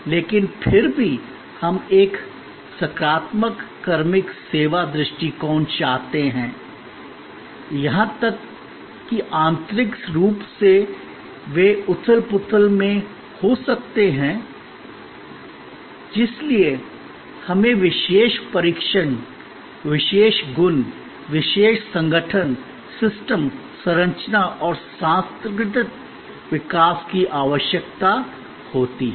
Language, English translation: Hindi, But, yet we want a positive personnel service approach, even internally they may be in turmoil for which we need special trainings, special attentions, special organization, systems, structures and cultural developments